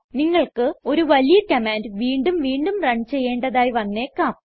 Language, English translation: Malayalam, It may happen that you have a large command that needs to be run again and again